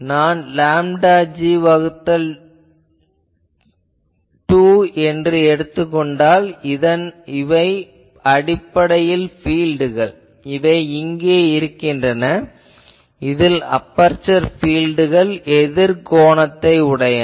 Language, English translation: Tamil, So, if I take lambda g by 2, basically they are the fields that are present here and here the aperture fields are opposite phase